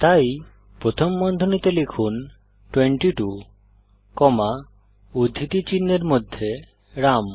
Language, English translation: Bengali, So within parentheses type 22 comma in double quotes Ram